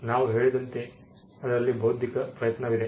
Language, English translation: Kannada, As we said there is intellectual effort involved in it